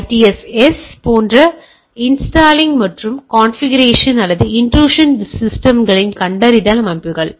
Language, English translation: Tamil, Installing and configuring IDSes like so or that intrusion system detection systems